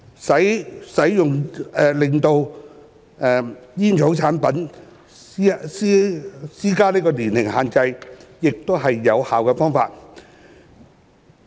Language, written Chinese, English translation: Cantonese, 就使用煙草產品施加年齡限制，亦是有效的方法。, Imposing age restriction for the use of tobacco products would be another effective means